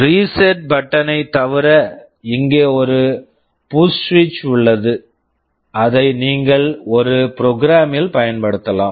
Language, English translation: Tamil, Other than the reset button there is another push switch here which you can use in a program